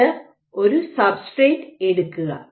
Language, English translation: Malayalam, So, again this is your substrate